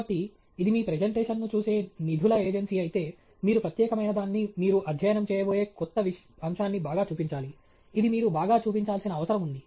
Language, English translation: Telugu, So, if it is a funding agency that’s watching your presentation, then you have to highlight what is unique, that new aspect that you are going to study which is what you need to highlight